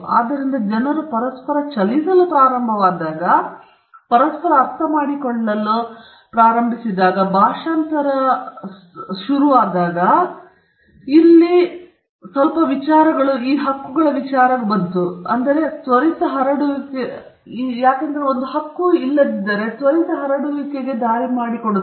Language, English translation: Kannada, So, when people started moving that also contributed to them understanding each other and the entire field of translation or interpreting other languages came up, which also lead to the quick spread of ideas